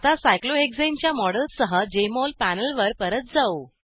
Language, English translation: Marathi, Now Let us go back to the Jmol panel with the model of cyclohexane